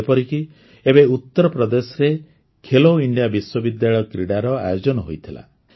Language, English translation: Odia, For example, Khelo India University Games were organized in Uttar Pradesh recently